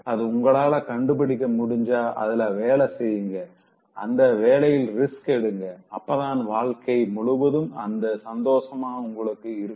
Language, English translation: Tamil, If you are able to identify that, work on it, take the risk so then only will be able to have happiness throughout in your life